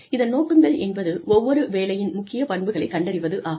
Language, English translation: Tamil, Purposes are identification of important characteristics of each job